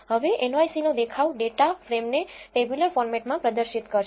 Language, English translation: Gujarati, Now view of nyc will display the data frame in a tabular format